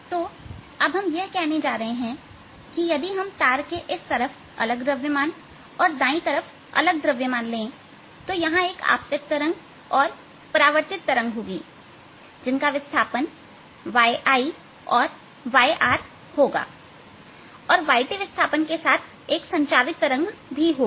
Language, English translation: Hindi, so now what we are going to say is that, given the string of a different mass on this side and different mass on the right side, there is going to be a incident wave, a reflected wave with v r displacement, y incident displacement and a transmitted wave with y t displacement again